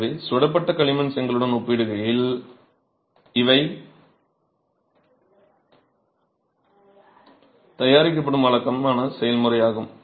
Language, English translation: Tamil, So, that is the typical process with which these are being manufactured in comparison to a clay brick which was fired